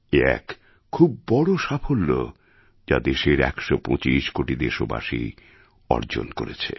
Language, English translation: Bengali, This is a huge success in itself which 125 crore Indians have earned for themselves